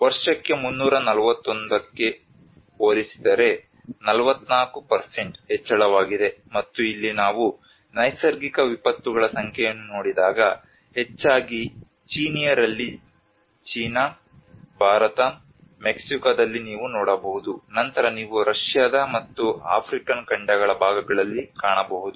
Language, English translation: Kannada, When compared to the 341 per year so that there is a 44% of increase and if you look at it when we see the number of natural disasters here, mostly in the Chinese you can see that China, India, Mexico the later on you can find part of Russian and African continents